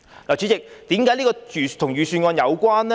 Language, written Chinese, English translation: Cantonese, 主席，為何這與預算案有關呢？, Chairman why is this related to the Budget?